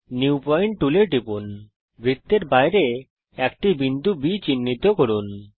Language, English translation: Bengali, Click on the New pointtool,Mark a point B outside the circle